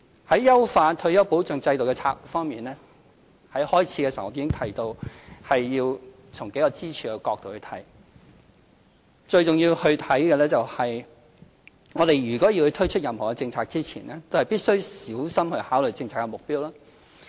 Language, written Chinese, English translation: Cantonese, 在優化退休保障制度的策略方面，在開場發言時我已提到，要從數個支柱的角度來看，最重要是，我們如果要推出任何政策前，都必須小心考慮政策目標。, In terms of strategies to enhance the retirement protection system I have mentioned in my opening speech that we have to see this from the angle of a few pillars . Most importantly we must carefully contemplate the policy goal before formulating any polices